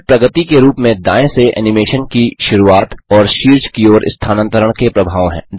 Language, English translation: Hindi, This has the effect of starting the animation from the right and moving to the top as it progresses